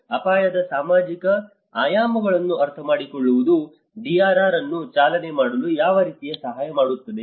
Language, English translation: Kannada, In what way does understanding of the social dimensions of the risk help drive DRR